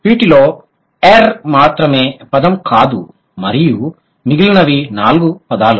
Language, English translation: Telugu, And out of these, only err is not a word and the rest four are words